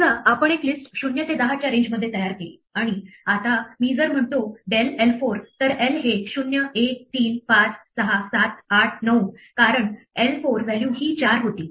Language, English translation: Marathi, Supposing, we set our list to be the range of values from 0 to 10, 0 to 9 say, and now I say del l 4 then l becomes 0, 1, 2, 3, 5, 6, 7, 8, 9, because l 4 was the value 4 remember the position start from 0